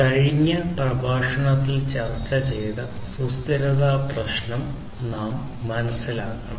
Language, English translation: Malayalam, So, we need to understand the sustainability issue that we have discussed in the previous lecture